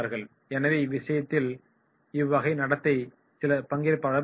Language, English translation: Tamil, So therefore in that case this type of behaviour may be there of some of the trainees